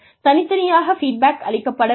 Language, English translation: Tamil, But, individual feedback should also be given